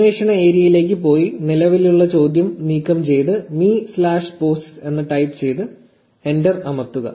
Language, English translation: Malayalam, Go to the query area remove the existing query and just type me slash posts and press enter